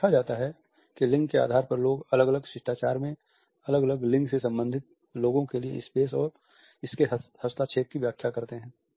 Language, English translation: Hindi, It is seen that depending on the genders people interpret the space and its intervention by people belonging to different genders in different manners